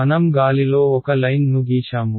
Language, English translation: Telugu, I just drew a line in air